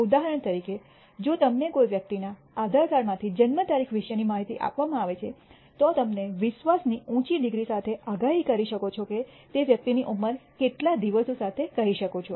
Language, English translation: Gujarati, For example, if you are given the information about the date of birth from an Aadhaar card of a person you can predict with a high degree of confidence the age of the person up to let us say number of days